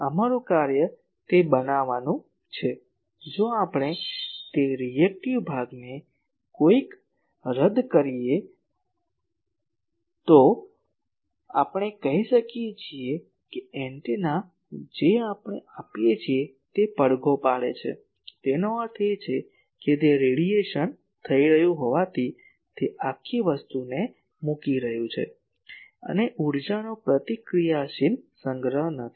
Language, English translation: Gujarati, Our job is to make that, if we can somehow cancel that reactive part, then we can say that antenna whatever we are giving it is resonating; that means, it is putting the whole thing into the as a radiation is taking place and there is no reactive storage of energy